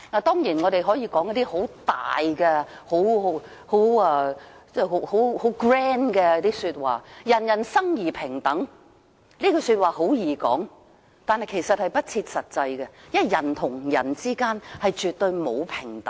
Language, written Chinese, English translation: Cantonese, 當然，我們可以說得很偉大、很 grand，" 人人生而平等"，說說是容易的，但其實是不切實際，因為人與人之間絕對沒有平等。, Certainly we can make the noble and grand remark that everyone is born equal . It is easy to say it as a mere slogan . But in fact it is inconsistent with the reality because there is absolutely no equality among people